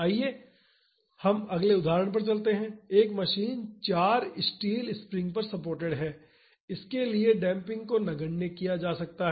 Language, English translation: Hindi, Let us move on to the next example, a machine is supported on four steel springs for which damping can be neglected